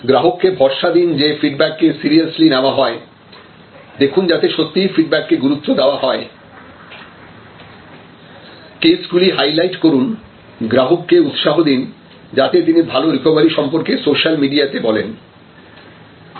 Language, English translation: Bengali, Assure that the feedback is taken seriously see that, it is truly taken seriously highlight the cases, encourage the customer to go to the social media and talk about the positive recovery